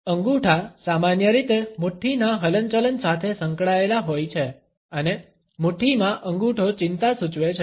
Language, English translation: Gujarati, Thumbs are normally associated with the fist movements and thumbs in fist indicates an anxiety